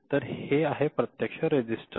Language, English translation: Marathi, So, this is actually register right